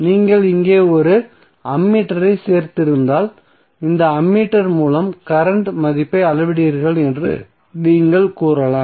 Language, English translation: Tamil, So you can say that if you added one ammeter here and you are measuring the value of current through this ammeter